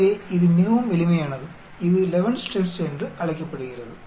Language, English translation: Tamil, So, it is very simple that is called the Levene's Test